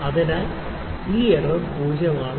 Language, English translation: Malayalam, So, this error is 0